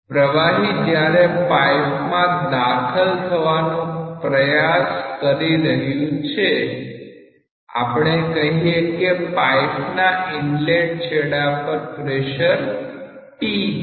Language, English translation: Gujarati, When the fluid is trying to enter the pipe, let us say that the pressure at this inlet section is p